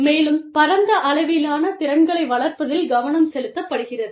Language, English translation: Tamil, And, the focus is on, the development of a broad range of skills